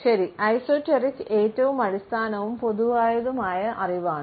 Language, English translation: Malayalam, Well, esoteric is most basic and common knowledge